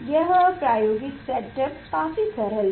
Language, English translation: Hindi, this is the experimental setup is very simple